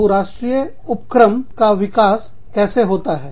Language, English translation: Hindi, How do multinational enterprises, develop